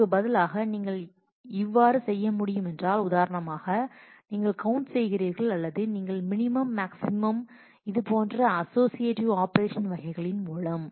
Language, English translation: Tamil, And what you can do is instead of for example, you are doing a count or you are doing a minimum, maximum, sum this kind of all of these are associative operations